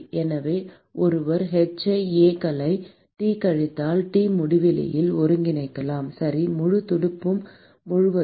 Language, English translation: Tamil, So, one could integrate h into d A s into T minus T infinity, okay, across the whole fin